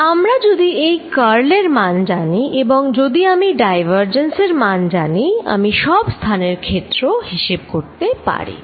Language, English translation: Bengali, If I know this quantity the curl and if I know the divergence I can calculate field everywhere